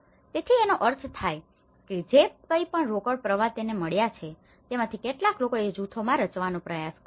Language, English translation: Gujarati, So, which means whatever the cash inflows they have got, some of them they have tried to form into groups